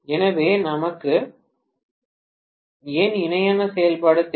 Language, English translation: Tamil, So, any thoughts on why do we need parallel operation